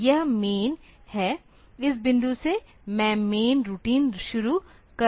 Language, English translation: Hindi, So, this is the main, from this point I am starting the main routine